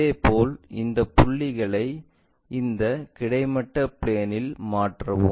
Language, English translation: Tamil, Similarly, transfer these points on this horizontal plane thing